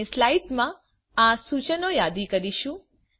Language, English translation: Gujarati, we shall list these instructions in slides